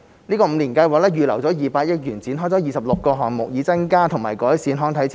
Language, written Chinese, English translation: Cantonese, 五年計劃預留200億元展開26個項目，以增加和改善康體設施。, An amount of 20 billion has been reserved under the Five - Year Plan for launching 26 projects to develop new sports and recreation facilities and enhance the existing ones